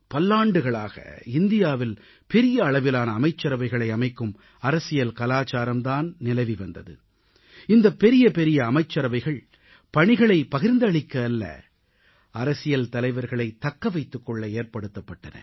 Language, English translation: Tamil, For many years in India, the political culture of forming a very large cabinet was being misused to constitute jumbo cabinets not only to create a divide but also to appease political leaders